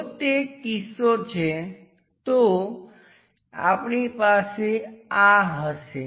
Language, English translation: Gujarati, If that is the case, we will be having this one